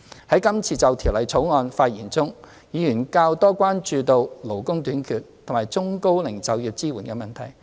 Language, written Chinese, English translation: Cantonese, 在今次就《條例草案》的發言中，議員較多關注勞工短缺及中高齡就業支援的問題。, In speeches made on the Bill this time around Members are more concerned about the labour shortage and employment support for the elderly and the middle - aged